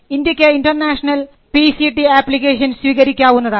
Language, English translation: Malayalam, India can receive international PCT applications